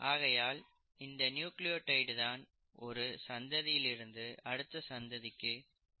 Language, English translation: Tamil, So that is what a nucleotide is all about and that is what passes on the information from one generation to another